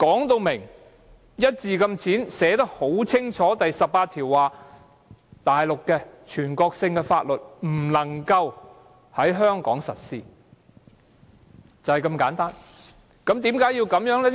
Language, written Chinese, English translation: Cantonese, 第十八條寫得很清楚：內地的全國性法律不能夠在香港實施，就是如此簡單。, Article 18 explicitly provides that national laws of the Mainland shall not be applied in Hong Kong and it is just this simple